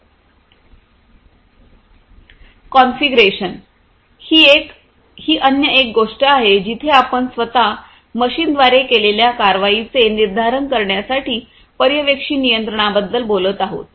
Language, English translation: Marathi, Configuration is the other one where we are talking about supervisory control to determine actions to be taken by the machines themselves